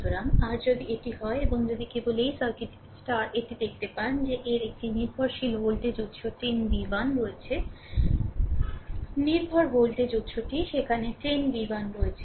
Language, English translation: Bengali, So, your if you if you let me clear it, and if you if you just look into this in this circuit that, you have a one dependent voltage source 10 v 1, the dependent voltage source is there 10 v 1